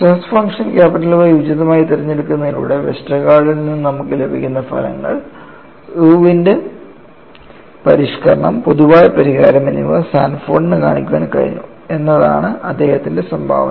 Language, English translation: Malayalam, And what was the contribution by Sanford was, by selecting appropriately the stress function Y, he could show the results that you get from Westergaard, Irwin’s modification as well as generalized solution